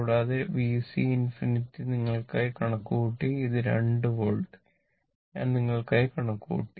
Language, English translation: Malayalam, And V C infinity also calculated for you, it is 2 volt that also calculated, I calculated for you